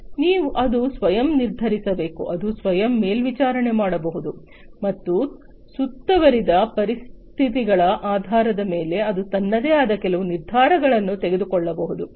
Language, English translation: Kannada, So, it has to self decide it can self monitor and based on the ambient conditions it can make certain decisions on it is on it is own